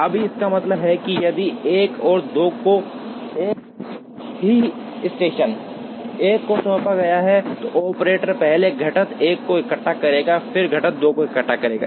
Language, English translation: Hindi, Now, this implies that, if 1 and 2 are assigned to the same station 1, the operator will first assemble component 1 and then assemble component 2